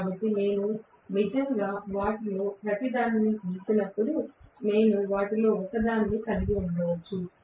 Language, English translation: Telugu, So, if I actually plot each of them I may have actually one of them